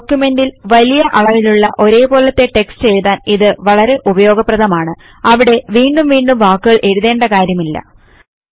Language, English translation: Malayalam, This feature is very useful while writing a large amount of similar text in documents, where you dont need to write the entire text repeatedly